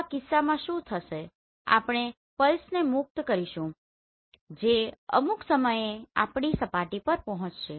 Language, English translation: Gujarati, So in this case what will happen we will release the pulses which will reach to our surface at some point of time